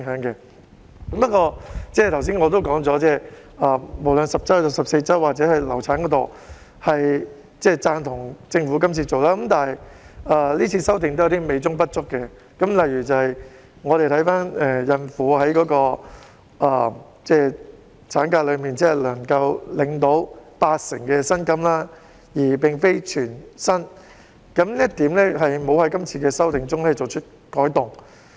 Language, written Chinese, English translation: Cantonese, 不過，我剛才也說過，無論是10周還是14周，抑或流產安排方面，我都贊同政府的工作，但今次修訂仍然有點美中不足，例如孕婦放取產假只能領八成薪金而非全薪的安排，在今次修訂中並沒有作出改動。, Nevertheless I have also mentioned that regardless of 10 weeks or 14 weeks or the definition of miscarriage I support the Government in all of these areas . But the amendments this time around are still not perfect . For example pregnant women taking maternity leave can only get 80 % instead of 100 % of their salaries which will remain unchanged after the amendments this time around